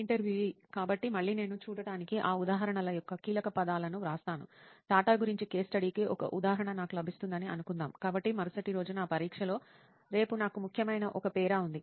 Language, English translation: Telugu, So again I write the keywords of those examples to see, suppose I get an example of case study about TATA, so there is one paragraph which is important for me for tomorrow in my exam next day